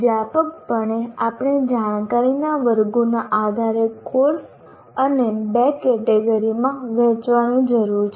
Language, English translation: Gujarati, The broadly we need to divide the courses into two categories in another way based on the knowledge categories